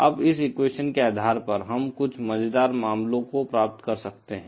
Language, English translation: Hindi, Now based on this equation, we can derive some interesting cases